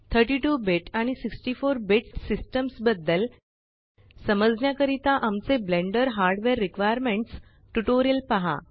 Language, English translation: Marathi, To understand about 32 BIT and 64 BIT systems, see our Tutorial on Blender Hardware Requirements